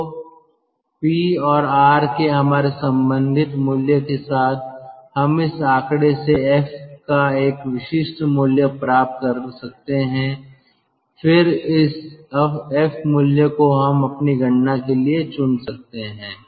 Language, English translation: Hindi, so with our respective value of p and r we can get a typical value of f from this figure and then that f value we can pick up for our calculation